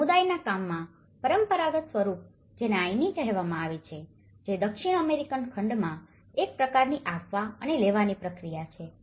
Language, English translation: Gujarati, And the traditional form of community work which is called of ‘Ayni’ which is a kind of give and take process in the South American continent